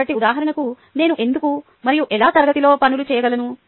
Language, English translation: Telugu, so, for example, why and how do i do things in the class